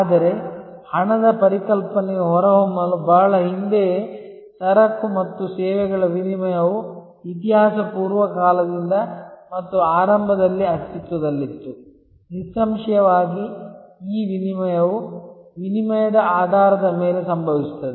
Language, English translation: Kannada, But, long before the concept of money emerged, exchange of goods and services existed from prehistoric times and initially; obviously, these exchange is happened on the basis of barter